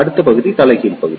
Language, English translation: Tamil, The next region is the Inverted Region